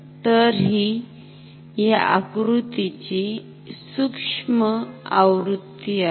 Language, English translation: Marathi, So, this is the miniature version of this diagram ok